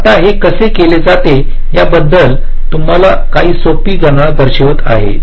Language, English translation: Marathi, so here i shall be showing you some simple calculation how it is done